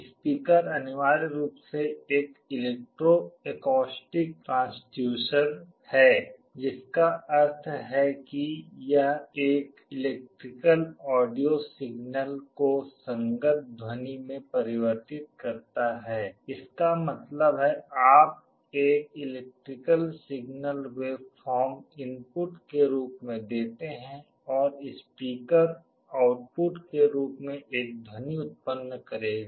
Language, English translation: Hindi, A speaker essentially an electro acoustic transducer, which means is converts an electrical audio signal into a corresponding sound; that means, you give an electrical signal waveform as the input and the speaker will generate a sound as the output